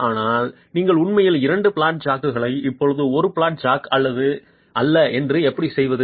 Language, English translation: Tamil, You actually use two flat jacks now, not one flat jack